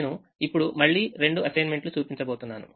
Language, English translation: Telugu, i am again going to show both the assignments